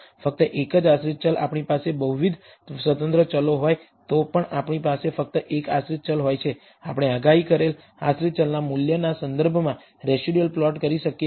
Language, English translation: Gujarati, Only one dependent variable even if there are multiple independent variables we have only one dependent variable, we can plot the residuals with respect to the predicted value of the dependent variable